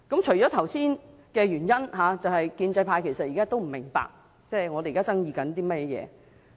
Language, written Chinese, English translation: Cantonese, 除了剛才的原因外，建制派仍然不明白我們在爭議些甚麼。, Apart from the reasons mentioned above we also have other arguments which pro - establishment Members still do not understand